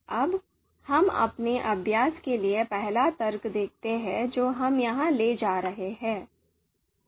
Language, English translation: Hindi, Now let us look at the you know first argument, so the example for our exercise that we are taking here